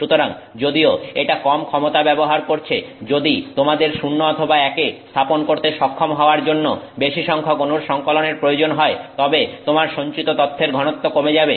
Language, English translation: Bengali, So, even though it is using less power, if you need a larger collection of atoms to enable you to set 0 or 1, then your density of information stored decreases